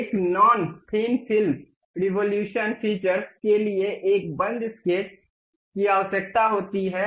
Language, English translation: Hindi, A non thin revolution feature requires a closed sketch